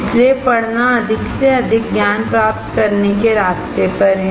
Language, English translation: Hindi, So, reading is on the way to gain more and more knowledge